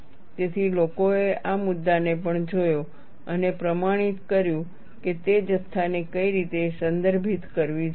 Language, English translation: Gujarati, So, people also looked at this issue and standardized which way those quantities have to be referred